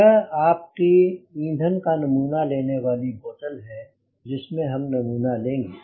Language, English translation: Hindi, this is your fuel sampling bottle which through which we will take the sample